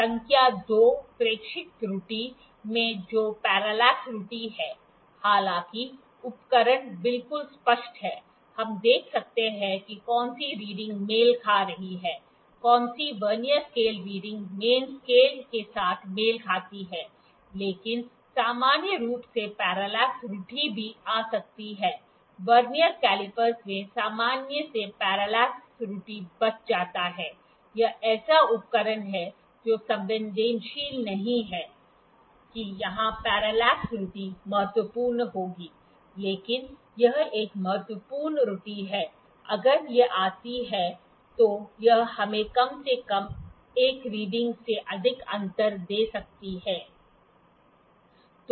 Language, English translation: Hindi, Number 2 is the observer error that is parallax error; however, the instrument is quite clear, the we can see which reading is coinciding which of the Vernier scale readings coinciding with the main scale, but in general parallax error could also come; not in Vernier caliper in general parallax error is avoided, this is it is instrumented is not that sensitive that parallax error would be significant here, but it is an important, error if it comes it can give us difference of 1 reading at least